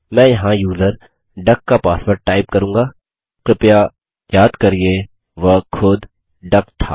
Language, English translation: Hindi, I shall type the user duck password here please recall that it was duck itself